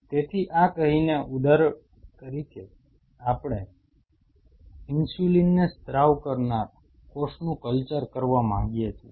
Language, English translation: Gujarati, So, having said this say for example, we wanted to culture a cell which secretes insulin